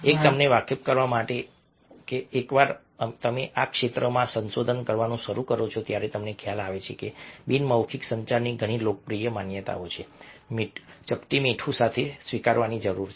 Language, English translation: Gujarati, one to make you aware that once you start doing research in the field, you realize that many of the very popular notions of non verbal communication need to be excepted with the pinch of salt